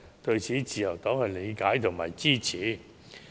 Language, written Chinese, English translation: Cantonese, 對此，自由黨是理解和支持的。, The Liberal Party understands and supports the proposal